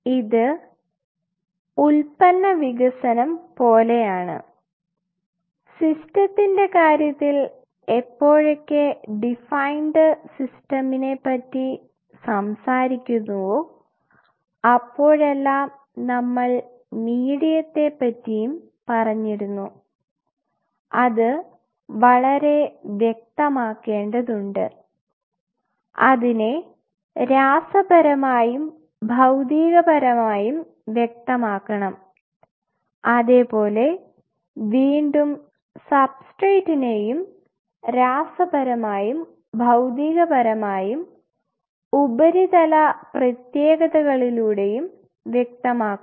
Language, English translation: Malayalam, It is more or less like product development, and in terms of the system we talked about whenever we talk about such a defined system, we talked about medium it should be very well defined and it should define in terms of chemically it is physical properties then we have substrate again same way chemically, physically and surface properties